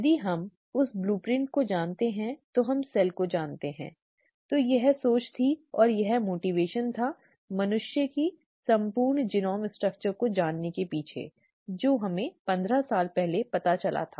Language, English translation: Hindi, If we know the blueprint we know the cell, okay, that was thinking and that was the motivation behind knowing the entire genome structure of humans which we came to know about 15 years ago